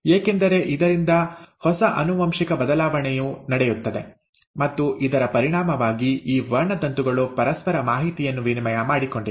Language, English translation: Kannada, And thanks to this crossing over, new genetic shuffling takes place and as a result, these chromosomes have exchanged information in material with each other